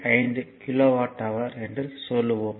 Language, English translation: Tamil, 5 kilowatt hour right